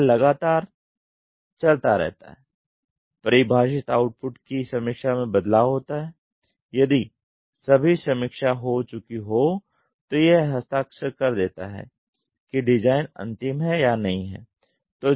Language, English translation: Hindi, this keeps on going iteratively, the define output is review changes has to be there if the reviews are all then it gets to sign off that is the design is final if it is not